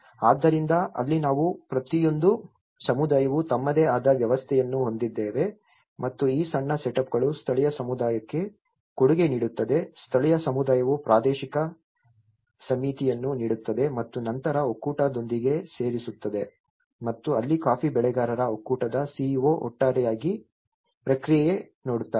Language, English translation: Kannada, So, that is where we are talking about each community have their own setup and these smaller setups contribute a local community, the local community contributes a regional committee and then adding with the federation and that is where coffee grower’s federation CEO who looks into the overall process